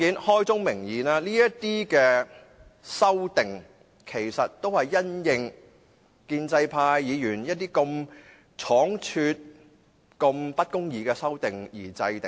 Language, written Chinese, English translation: Cantonese, 開宗明義，這些修正案其實都是因應建制派議員一些倉卒提出及不公義的修正案而制訂的。, Frankly speaking these amendments are the result of other unfair amendments hastily proposed by the pro - establishment camp